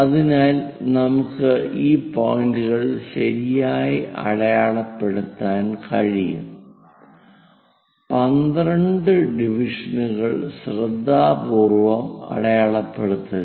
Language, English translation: Malayalam, So, that we can make we can mark these points ok, go carefully 12 divisions we have to mark